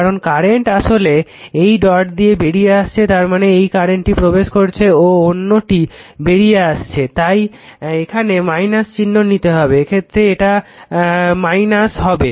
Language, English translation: Bengali, Because current actually leaving this dot if dot is here means this current is entering and another is leaving you have to take the minus sign, in that case it will be your what you call minus